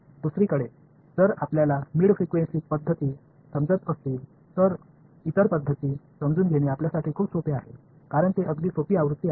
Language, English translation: Marathi, On the other hand, if you understand mid frequency methods, it is much easier for you to understand the other methods because they are simpler version right